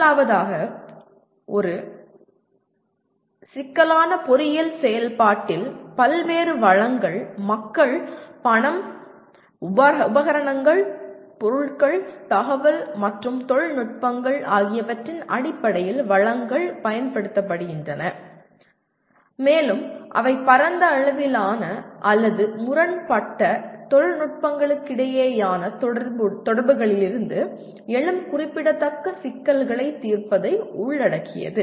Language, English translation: Tamil, First of all, a complex engineering activity involves use of diverse resources, resources in terms of people, money, equipment, materials, information and technologies and they require the activities involve resolution of significant problems arising from interactions between wide ranging or conflicting technical, engineering or other issues